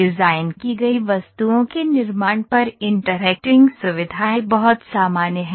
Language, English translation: Hindi, The interacting features are very common or manufacturing design objects